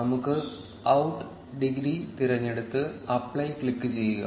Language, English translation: Malayalam, Let us choose out degree and click apply